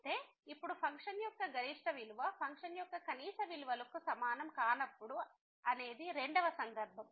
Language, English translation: Telugu, So, now the second case when the maximum value of the function is not equal to the minimum value of the function